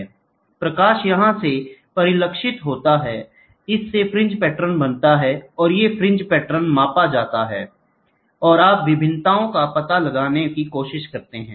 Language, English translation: Hindi, So, the light gets reflected from here, this creates fringe patterns and these fringe patterns are measured and you try to find out the variations